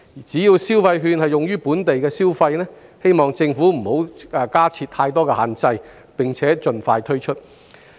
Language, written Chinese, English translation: Cantonese, 只要消費券是用於本地的消費，我們希望政府不要加設太多限制，並且盡快推出。, As long as the vouchers are used for local consumption the Government should not impose excessive restrictions on their use and should disburse them as soon as possible